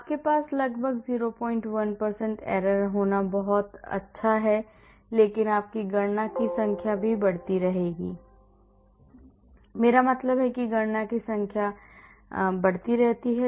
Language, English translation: Hindi, 1% error is very good to have but your number of calculations also will keep on increasing , I mean number of calculations also keep increasing